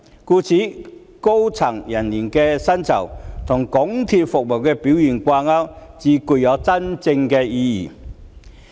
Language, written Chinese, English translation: Cantonese, 故此，將高層人員的薪酬與港鐵的服務表現掛鈎才具真正意義。, It would be therefore more meaningful to link the salary of senior staff to MTRs service performance